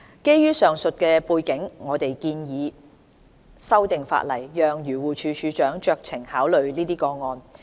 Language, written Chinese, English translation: Cantonese, 基於上述背景，我們建議修訂法例，讓漁護署署長酌情考慮這些個案。, Against this background we propose amending the legislation to let DAFC exercise discretion to allow the consideration of these cases